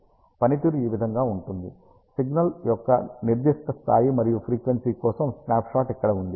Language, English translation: Telugu, The performance is like this here is the snapshot for a particular level and frequency of the signals